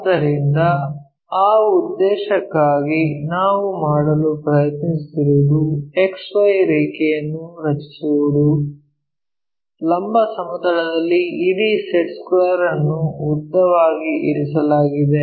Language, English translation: Kannada, So, for that purpose what we are trying to do is draw an X Y line, in the vertical plane the entire set square the longest one lying